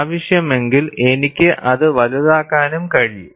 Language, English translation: Malayalam, If it is necessary, I can also enlarge it